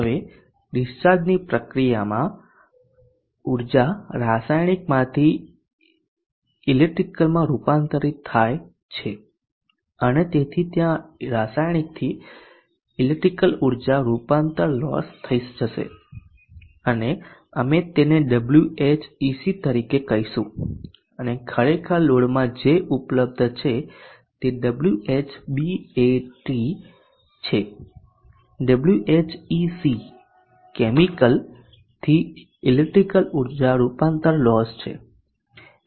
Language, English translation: Gujarati, And therefore there will be chemical to electrical energy conversion loss and we will call it as Wh C E and what is actually available at the load would be Wh battery Wh chemical to electrical energy conversion loss